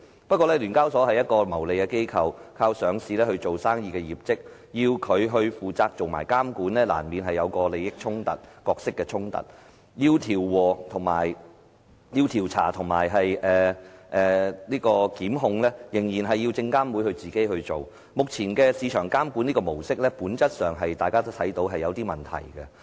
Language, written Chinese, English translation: Cantonese, 不過，聯交所是一個牟利機構，靠上市做生意業績，要它負責監管，難免有利益、角色的衝突，調查和檢控仍然需要證監會親自處理，大家都看到目前市場監管模式在本質上是有些問題的。, There will be inevitable conflicts of interest and role if it is tasked with regulating the market . Therefore SFC has to take charge of the investigation and prosecution work . Consequently everyone can see that the current market regulatory regime has a problem in essence